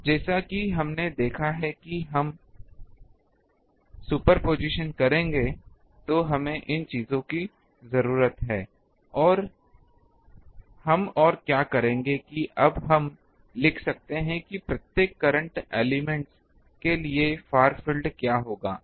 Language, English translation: Hindi, Now, as we have seen that when we will do the superposition, ah we need this um things and what we will do that ah we can now write down what will be the far field for each of the current elements